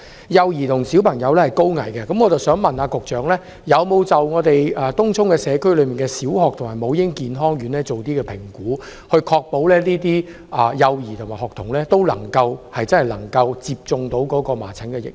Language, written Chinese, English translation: Cantonese, 幼兒及小朋友是高危人士，我想問局長有否就東涌社區內的小學及母嬰健康院作出評估，以確保幼兒及學童能夠接種麻疹疫苗？, As infants and children are high - risk persons may I ask the Secretary whether she has made any assessment on primary schools and maternal and child health centres in Tung Chung so as to ensure that infants and schoolchildren can receive measles vaccination?